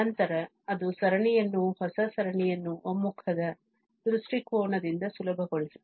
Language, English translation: Kannada, Then that makes that makes the series, the new series easier from the point of view of convergence